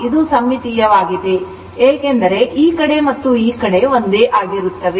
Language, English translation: Kannada, It is symmetrical because this side and this side is same look